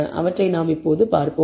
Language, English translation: Tamil, That we will see